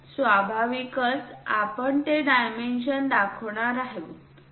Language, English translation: Marathi, So, naturally we are going to show that dimension